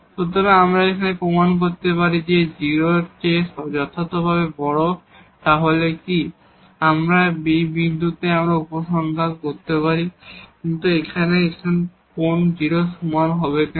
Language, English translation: Bengali, So, here if we can prove that this is strictly greater than 0 then it is fine, we can conclude about the point but here this is now greater than equal to 0 why